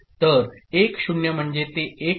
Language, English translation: Marathi, So, 1 0 means it becomes 1